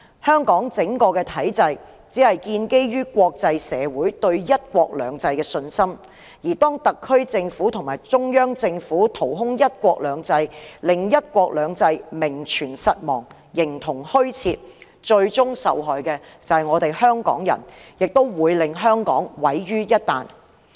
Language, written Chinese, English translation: Cantonese, 香港整個體制只是建基於國際社會對"一國兩制"的信心，當特區政府和中央政府掏空"一國兩制"，令"一國兩制"名存實亡、形同虛設時，最終受害的就是香港人，亦會令香港毀於一旦。, The entire system of Hong Kong is built upon the international communitys confidence in the one country two systems framework . When the SAR Government and the Central Government hollow out this framework making it exists in name only the ultimate victims are the people of Hong Kong and Hong Kong will also be utterly destroyed